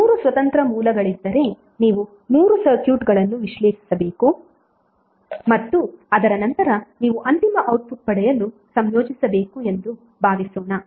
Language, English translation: Kannada, Suppose if there are 3 independent sources that means that you have to analyze 3 circuits and after that you have to combine to get the final output